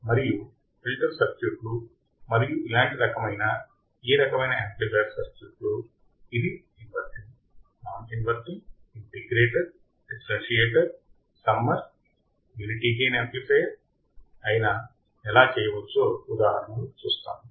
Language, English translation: Telugu, And similar kind of filter circuits and similar kind of this amplifier circuits, whether it is a inverting, non inverting, integrator, differentiator, summer right, unity gain amplifier, we will see the examples how we can implement those circuits on the breadboard